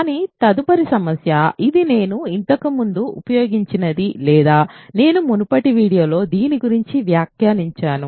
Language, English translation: Telugu, But next problem this is something that I used earlier or I commented about this in an earlier video